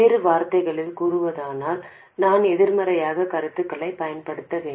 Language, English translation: Tamil, In other words we have to use negative feedback